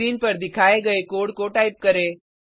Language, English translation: Hindi, Type the code as displayed on the screen